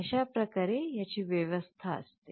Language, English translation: Marathi, This is how it is arranged